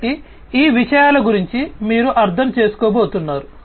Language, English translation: Telugu, So, these are the things that you are going to get an understanding about